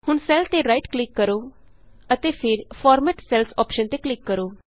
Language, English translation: Punjabi, Now do a right click on cell and then click on the Format Cells option